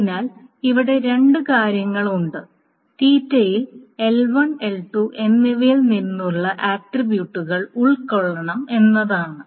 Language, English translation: Malayalam, So there are a couple of things here is that theta must involve attributes from L1 and L2 both